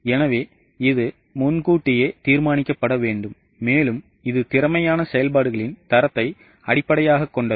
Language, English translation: Tamil, So, it needs to be pre determined and it is based on the standards of efficient operations